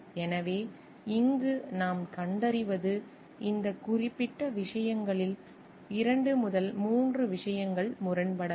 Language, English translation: Tamil, So, what we find over here like, in this particular things 2 3 things may coming to conflict